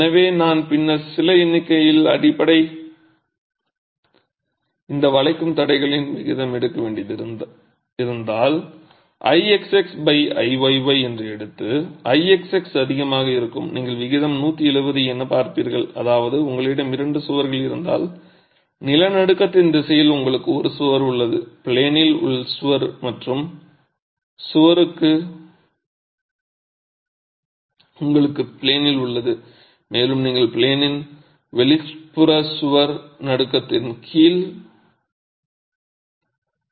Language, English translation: Tamil, So, if I were to then plug in some numbers and take the ratio of these bending resistances, I take I xx by IYY, knowing that I XX is going to be higher, you will see that the ratio works out to something like 170 which means if you have two walls you have a wall which is in the direction of the earthquake the in plain wall and the other wall you have the in plain wall and you have the out of plane wall under shaking